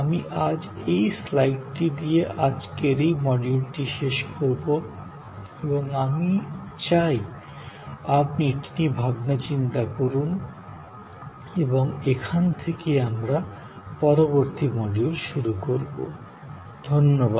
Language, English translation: Bengali, I will end today's this module with this particular slide and I would like you to think about it and this is where, we will begin in the next module